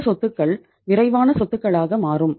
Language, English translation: Tamil, These assets become quick assets